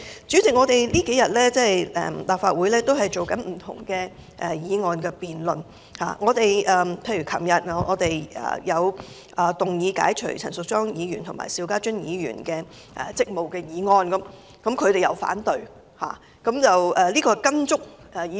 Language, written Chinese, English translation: Cantonese, 主席，立法會這數天進行不同的議案辯論，例如昨天有議員提出解除陳淑莊議員和邵家臻議員職務的議案，而他們反對這兩項議案。, President in these two days the Legislative Council has been conducting different motion debates . For example two Members moved their motions yesterday to relieve Ms Tanya CHAN and Mr SHIU Ka - chun of their duties as Members respectively which met their opposition